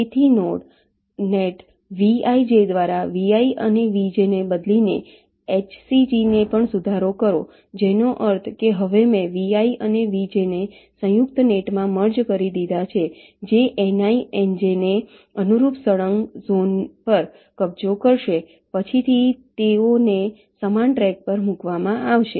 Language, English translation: Gujarati, ok, so also modify h c g by replacing vi and vj by a node net, vij, which means that now i have merged vi and vj in to a composite net which will occupy can consecutive zones corresponding to ni and nj and later on they will be placed on the same track